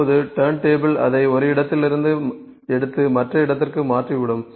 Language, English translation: Tamil, Now turntable would take it from one place and turn it to the other place ok